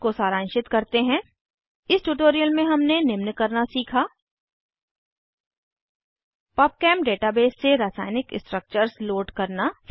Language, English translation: Hindi, Lets summarize In this tutorial we have learnt to * Load chemical structures from Pubchem data base